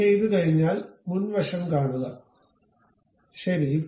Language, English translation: Malayalam, Once it is done go to frontal view, ok